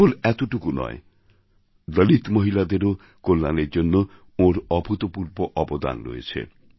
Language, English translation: Bengali, Not only this, she has done unprecedented work for the welfare of Dalit women too